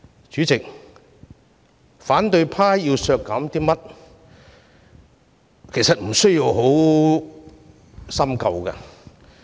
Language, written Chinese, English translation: Cantonese, 主席，反對派要削減的撥款，其實無需深究。, Chairman we need not look in depth at the expenditures which the opposition is seeking to reduce